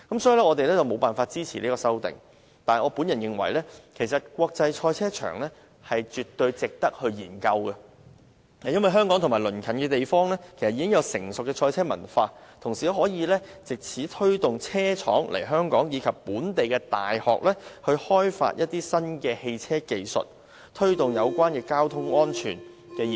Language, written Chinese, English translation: Cantonese, 所以，敝黨無法支持這項修正案，但我個人認為，興建國際賽車場的建議絕對值得研究，因為香港及鄰近地方已有成熟的賽車文化，同時可以藉此推動車廠來港，以及鼓勵本地大學開發新的汽車技術，從而推動有關交通安全的科研。, Therefore the Civic Party cannot support his amendment . I personally think that the proposal of constructing an international motor racing circuit is certainly worth studying because the culture of motor racing is well developed in Hong Kong and its neighbouring areas . Besides the proposal can also attract automobile manufacturers to Hong Kong and provide local universities with incentives to develop new automobile technology which will promote research on transport safety